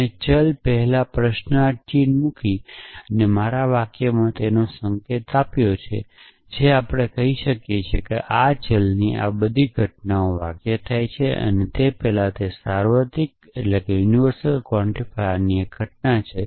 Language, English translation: Gujarati, I have indicated it in my sentence by putting a question mark before the variable, which tells we that this variable all these occurrences of this variable has one occurrence of a universal quantifier before the sentence is implicit